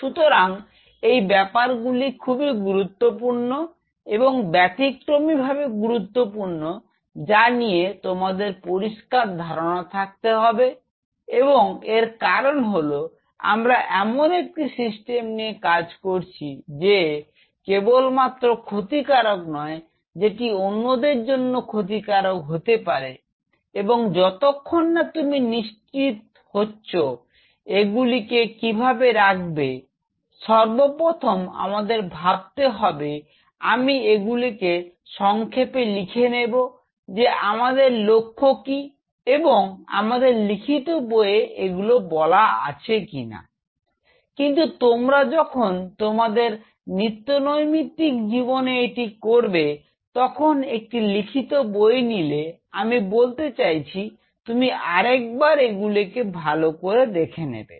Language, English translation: Bengali, So, these are very critical, exceptionally critical and you have to be very clear that what are my because you are dealing with systems which not only is hazardous to you, could be hazardous to others unless you are sure unless you are very clear in your mind you should not lay down, first of all think over it that is why I am jotting down this point, what is the objective and these are the points which textbooks will not say, but when you will go to the day to day life take any textbook I mean they will kind of you know brush aside this things